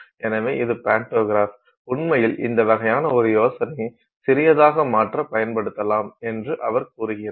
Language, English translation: Tamil, So, this is the pantograph and so he says that you know you can actually use this kind of an idea to make something smaller